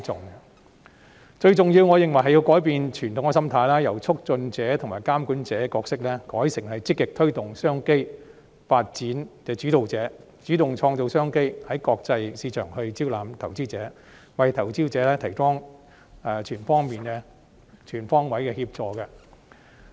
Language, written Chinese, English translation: Cantonese, 我認為最重要的是改變傳統心態，由促進者和監管者角色改為積極推動商機發展的主導者，主動創造商機，在國際市場招攬投資者，為投資者提供全方位的協助。, I think it is important to change our traditional mindset by changing our role from a facilitator and regulator to a leader that actively promotes business opportunities and development . We must take the initiative to create business opportunities solicit investors in the international market and provide investors with assistance on all fronts